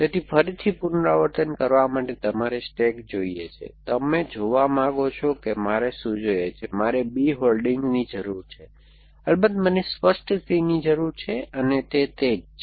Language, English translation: Gujarati, So, again to repeat you want stack, you want to see what do I need, I need holding B, of course I need clear C and that is what it is